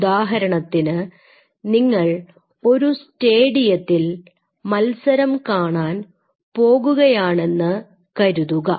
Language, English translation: Malayalam, So, say for example, you are going to a stadium to see a match or something